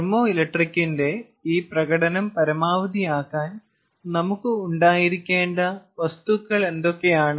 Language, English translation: Malayalam, what are the kind of materials that we should have in order to maximize this performance of the thermoelectric